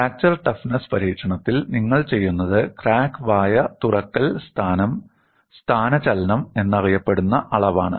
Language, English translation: Malayalam, In fracture toughness experiment, what you do is you measure, what is known as crack mouth opening displacement